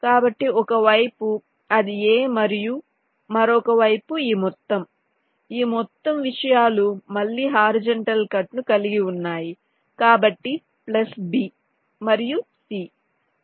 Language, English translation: Telugu, so on one side it is a and the other side is this whole thing, this whole things again has a horizontal cut